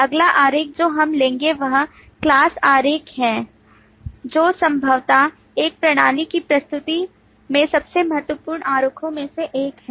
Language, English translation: Hindi, Next diagram we take up is the class diagram, which is possibly one of the more important diagrams in the presentation of a system